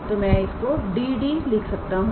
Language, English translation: Hindi, So, I write it as DD